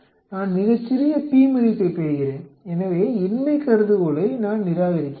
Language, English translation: Tamil, I get a very small p value so I reject the null hypothesis